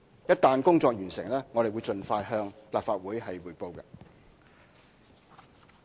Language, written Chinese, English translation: Cantonese, 一旦工作完成，我們會盡快向立法會匯報。, Once the work is completed we will expeditiously report to the Legislative Council